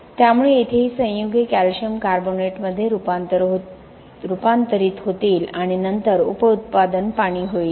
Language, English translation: Marathi, So here these compounds will convert into calcium carbonate and then byproduct will be water